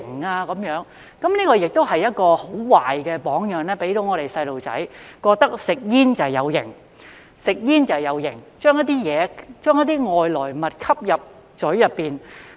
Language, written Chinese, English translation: Cantonese, 這也給小朋友一個很壞的榜樣，覺得吸煙很"有型"，就是把一些外來物吸入口中。, This also sets a bad example to children that smoking is cool in the sense that they are inhaling something foreign